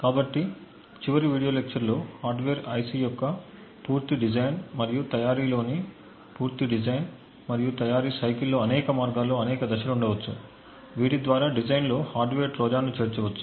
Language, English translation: Telugu, that during the entire design and manufacture cycle during the entire design and manufacture of a hardware IC there can be many phases on many ways through which a hardware Trojan could be inserted in the design